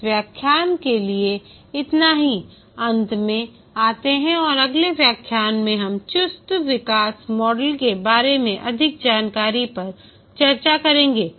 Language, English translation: Hindi, For this lecture, we will just come to the end and in the next lecture we will discuss more details about the agile development model